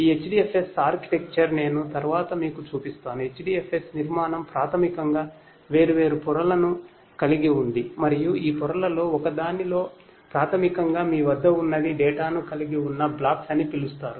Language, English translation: Telugu, This HDFS architecture as I will show you later on, HDFS architecture basically has different layers and in one of these layers basically what you have are something known as the blocks which actually contains the data